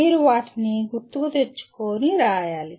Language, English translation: Telugu, You have to recall them and write